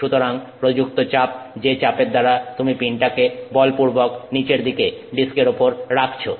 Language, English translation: Bengali, So, pressure applied, the pressure with which you are forcing the pin down on the disk